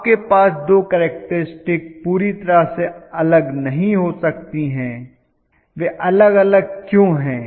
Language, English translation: Hindi, You cannot have the two characteristics which are entirely different, why are they different